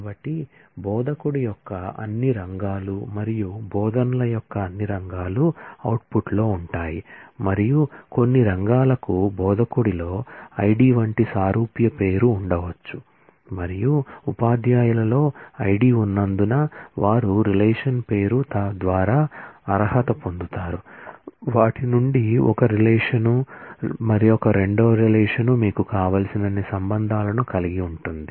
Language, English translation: Telugu, So, all fields of in instructor and all fields of teaches will be there in the output, and since some fields may have identical name like ID in instructor and there is ID in teachers, they will be qualified by the name of the relation, from can have 1 relation, 2 relation any number of relations as you require